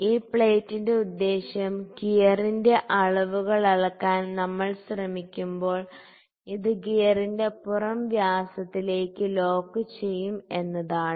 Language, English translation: Malayalam, The purpose of this plate is that when we will try to measure the dimensions of the gear, this will lock towards the outer diameter of the gear